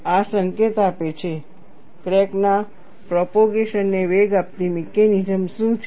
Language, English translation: Gujarati, This dictates, what is the mechanism, that precipitates propagation of crack